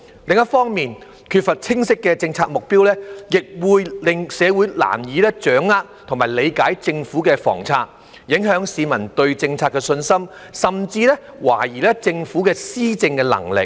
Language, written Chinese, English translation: Cantonese, 另一方面，缺乏清晰的政策目標亦會令社會難以掌握及理解政府的房策，影響市民對政策的信心，甚至懷疑政府的施政能力。, On the other hand the lack of clear policy objectives will make it difficult for the community to grasp and apprehend the Governments housing policy which will undermine the public confidence in the policy and arouse doubts among the public about the Governments ability to govern